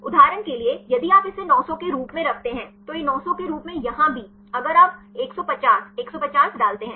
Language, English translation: Hindi, For example, if you put this as 900, this as 900 here also if you put 150, 150